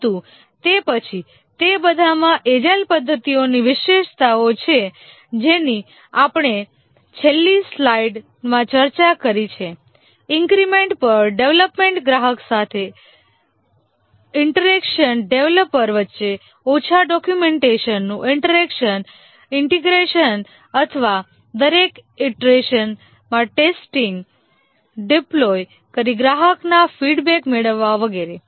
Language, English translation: Gujarati, But then they all have the features of the agile methodologies which we just so discussed in the last slide, development over increments, interaction with the customer, less documentation, interaction among the developers, testing, integrating and testing over each iteration, deploying, getting customer feedback and so on